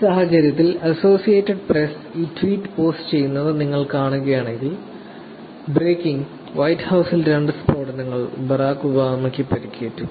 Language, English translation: Malayalam, In this case, if you see The Associated Press is actually posting this tweet called, ‘Breaking: Two explosions in the white house and Barack Obama is injured’